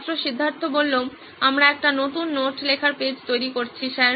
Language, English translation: Bengali, Student Siddhartha: We are creating a new note taking page sir